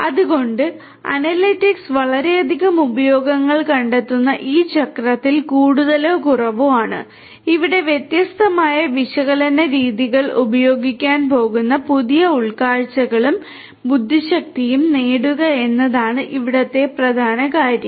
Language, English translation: Malayalam, So, this is more or less this cycle where analytics finds lot of use and the core thing over here is to derive new insights and intelligence for which these different methods of analytics are going to be used